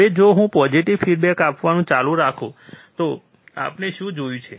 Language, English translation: Gujarati, Now, if I keep on going applying positive feedback, what was the thing that we have seen